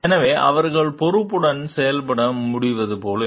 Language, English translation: Tamil, So, that they are like they can act responsibly